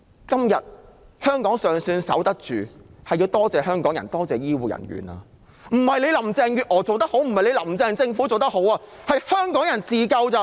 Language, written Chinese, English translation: Cantonese, 今天香港尚算守得住，要多謝的是香港人和醫護人員，而非因為林鄭月娥及其政府做得好，靠的只是香港人自救。, Hong Kong still keeps its ground today thanks to Hong Kong people and health care workers . The credit should go to Hong Kong people who help themselves and not because Carrie LAM and her Administration have been doing a good job